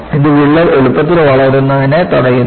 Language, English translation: Malayalam, It prevents the crack to grow easier